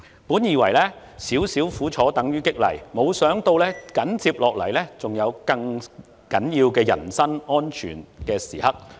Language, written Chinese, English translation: Cantonese, 本以為"少少苦楚等於激勵"，沒想到緊接下來還有危害人身安全的更重要時刻。, While I thought a little suffering would give me motivation a more critical moment that put my personal safety at risk was yet to come